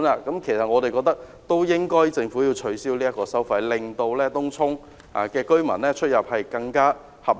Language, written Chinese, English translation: Cantonese, 所以，我們覺得政府應要取消這項收費，令東涌居民出入成本更合理。, We therefore think that the Government should cancel this charge to make the travel costs of Tung Chung residents more reasonable